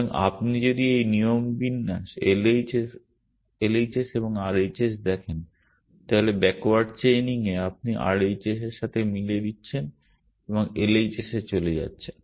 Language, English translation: Bengali, So, if you look at this rule format LHS and RHS then in backward chaining you are matching here with the RHS and moving to the LHS